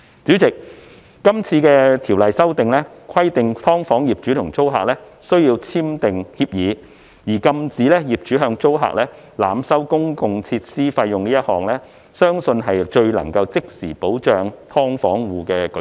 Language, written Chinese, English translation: Cantonese, 主席，今次《條例草案》規定"劏房"業主和租客須簽訂協議，而禁止業主向租客濫收公用設施費用一項，相信是最能夠即時保障"劏房戶"的舉措。, President the current Bill mandates the signing of a tenancy agreement by landlords and tenants of SDUs and the tenancy term to prohibit landlords from overcharging tenants utility fees is believed to the most immediate protection for SDU households